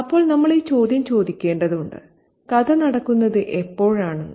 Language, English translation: Malayalam, So, we need to ask this question, when exactly is the story taking place